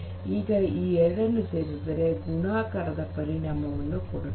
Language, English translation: Kannada, Now, if you put them together, what you get is a multiplicative effect